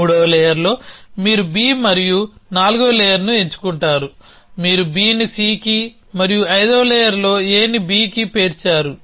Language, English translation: Telugu, In the third layer, you pick up B and the fourth layer, you stack B on to C and fifth layer you stack A on to B